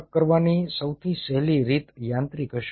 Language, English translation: Gujarati, easiest way to dissociate will be mechanically